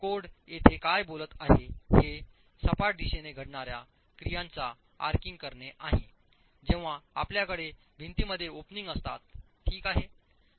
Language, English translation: Marathi, What the code is talking about here is arching action occurring in the in plane direction when you have openings in walls